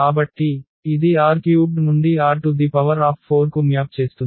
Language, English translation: Telugu, So, this maps from R 3 to R 4